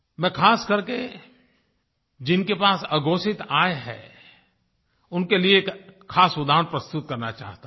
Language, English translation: Hindi, And now I want to cite an example especially for those people who have undisclosed income